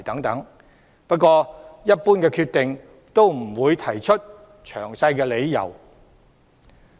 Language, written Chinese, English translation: Cantonese, 但一般來說，有關當局不會提出詳細的理由。, But generally speaking the authorities concerned will not give detailed reasons